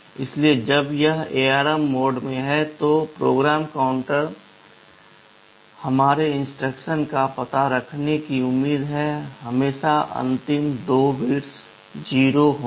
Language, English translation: Hindi, Therefore, when it is in ARM mode, the PC is expected to hold the address of our instruction, always the last 2 bits will be 0